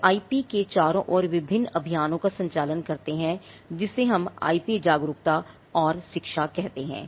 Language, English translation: Hindi, Now they conduct various campaigns an advocacy around IP what we call IP awareness and education